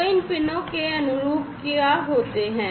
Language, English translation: Hindi, So, what are these pins corresponding to what do they correspond to